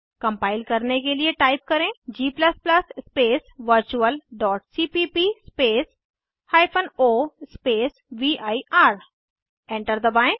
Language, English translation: Hindi, To compile type: g++ space virtual.cpp space o space vir